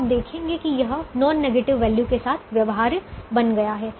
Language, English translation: Hindi, now you see that this has become feasible with a non negative value